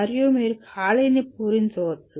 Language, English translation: Telugu, And you can fill the gap